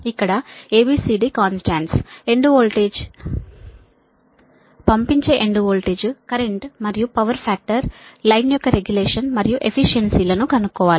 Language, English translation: Telugu, you have to find out a, b, c, d, constant sending, end voltage, current and power, power factor, regulation and efficiency of the line